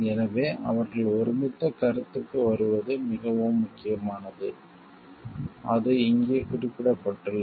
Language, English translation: Tamil, So, it is very important like they come to a consensus like, as it is mentioned over here